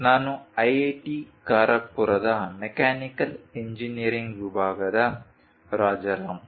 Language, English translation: Kannada, I am Rajaram from Mechanical Engineering, IIT Kharagpur